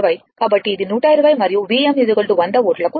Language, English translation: Telugu, So, this is 120 right and your V m is equal to 100 volts